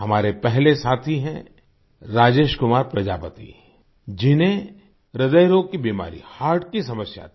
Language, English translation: Hindi, Our first friend is Rajesh Kumar Prajapati who had an ailment of the heart heart disease